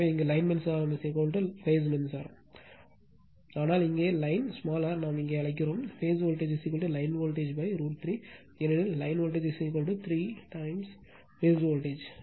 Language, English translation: Tamil, But here line current is equal to phase current right so, but here line your, what we call here, phase voltage is equal to line voltage by root 3 because, line voltage is equal to root 3 times phase voltage right